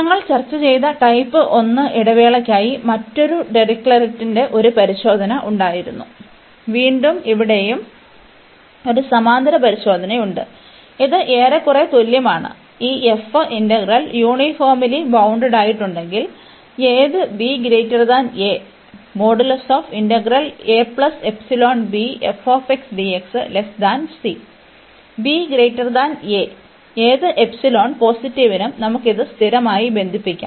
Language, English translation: Malayalam, There was another Dirichlet’s test for type 1 interval we have discussed, and again we have a parallel test here also, which is more or less the same that if this f integral is uniformly bounded that means for any b here greater than a, we can bound this by some constant for any epsilon positive